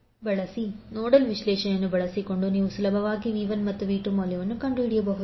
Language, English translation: Kannada, So using nodal analysis you can easily find out the value of V 1 and V 2